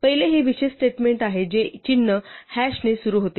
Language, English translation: Marathi, The first is this special statement which starts with symbol hash